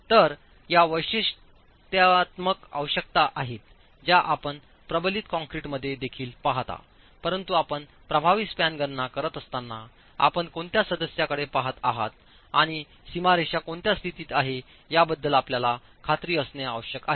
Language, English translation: Marathi, So these are typical requirements which you see even in reinforced concrete but when you are making an effective span calculations you have to be sure about what type of member you are looking at and what the boundary conditions are